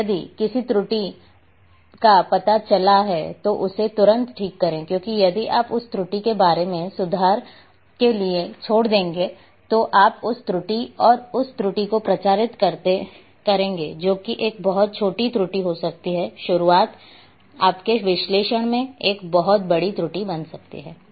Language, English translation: Hindi, And if any error is detected correct it immediately, because if you leave that error for correction later on then you will propagate that error and that error which might be a very small error in the beginning can become a very large error in your analysis